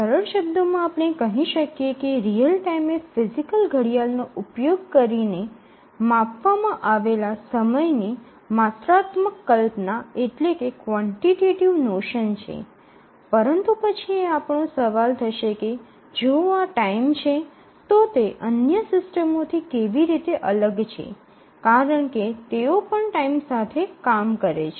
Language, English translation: Gujarati, Actually in the simplest term we can say that real time is a quantitative notion of time measured using a physical clock, but then we will have the question that then this is time, so how is it different from other systems, they also deal with time